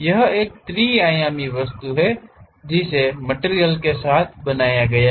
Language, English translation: Hindi, It is a three dimensional object made with material